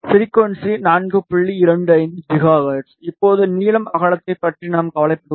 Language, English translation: Tamil, 25 gigahertz, and currently the length is not of a concern we are concerned about the width